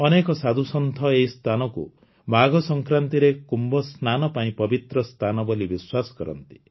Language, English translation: Odia, Many saints consider it a holy place for Kumbh Snan on Magh Sankranti